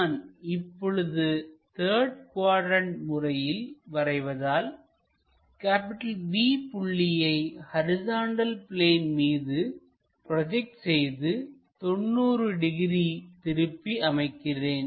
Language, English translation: Tamil, Because, this third quadrant and what we want to really project is project this point B onto horizontal plane rotate it